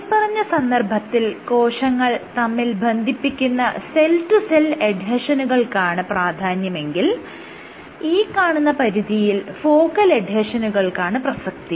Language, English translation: Malayalam, In these cases you had cell cell adhesions dominate, but at the periphery you had focal adhesions dominate